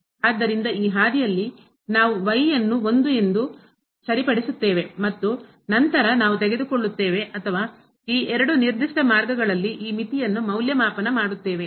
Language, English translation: Kannada, So, along this path we will fix as 1 and then, we will take or we will evaluate this limit along these two particular paths